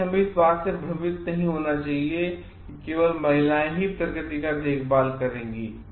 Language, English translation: Hindi, So, we should not confuse like only women will be caring for the nature males are not